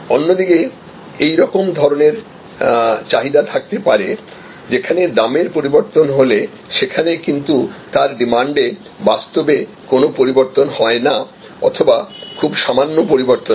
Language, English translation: Bengali, On the other hand we can have this type of demand, where the price may change, but that will cause practically no change or very little change in demand